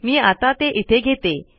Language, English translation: Marathi, So let me take it here